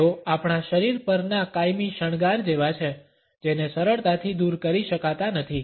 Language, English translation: Gujarati, They are like a permanent decoration to our body which cannot be easily removed